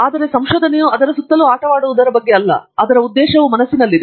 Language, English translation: Kannada, But, research is not just about playing around it, its playing around with a purpose in mind